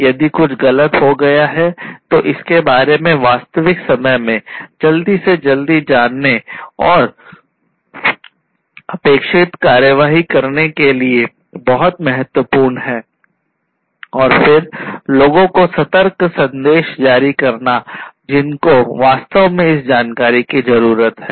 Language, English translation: Hindi, If something has gone wrong trying to know about it as quickly as possible in real time and taking the requisite action is very important and then generating alert messages for the for the people, who actually need to have this information